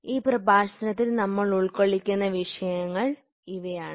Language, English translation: Malayalam, These are the topics which we will be covering in this lecture